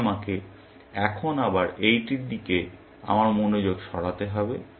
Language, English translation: Bengali, So, I have to now shift my attention to this one, again